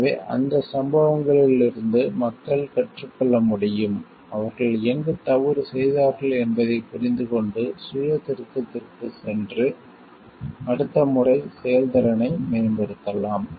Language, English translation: Tamil, So, that people can learn from those incidents people can understand, where they went wrong and make go for a self correction and improve the performance next time